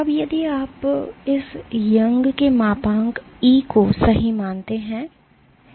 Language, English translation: Hindi, Now, if you consider this Young’s modulus E right